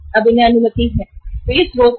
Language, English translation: Hindi, So these are the sources